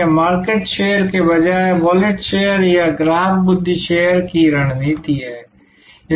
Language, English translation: Hindi, This is the strategy of wallet share or customer mind share rather than market share